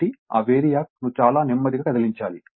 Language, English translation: Telugu, So, that VARIAC you have to move it very slowly